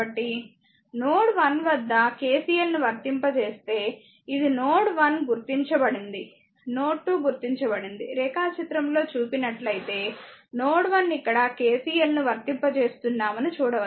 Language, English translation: Telugu, So, if you apply KCL at node one this is node one is mark node 2 is mark you can see that diagram node one you apply KCL here